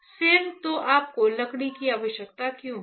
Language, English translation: Hindi, Otherwise why you require wood, is not it